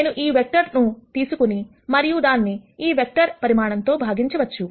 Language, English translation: Telugu, Is I could take this vector and then divide this vector by the magnitude of this vector